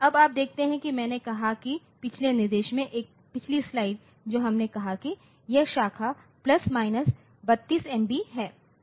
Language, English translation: Hindi, Now, you see that I have said that in the previous instruction a previous slide that this is sorry we have said that this branch is plus minus 32 MB